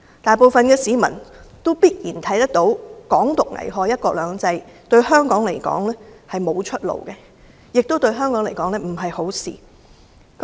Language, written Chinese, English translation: Cantonese, 大部分市民必然看得到"港獨"危害"一國兩制"，對香港來說並非出路，亦不是好事。, I am sure most members of the public would see that Hong Kong independence will jeopardize one country two systems; it is not a way out for Hong Kong and will bring no benefits to Hong Kong